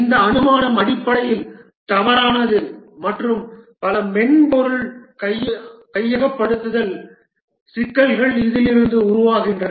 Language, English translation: Tamil, This assumption is fundamentally wrong and many software accusation problems spring from this